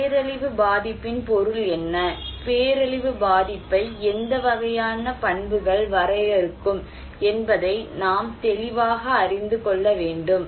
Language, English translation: Tamil, We need to know clearly what is the meaning of disaster vulnerability, what kind of characteristics would define disaster vulnerability